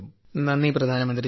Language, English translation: Malayalam, Thank you, Prime Minister ji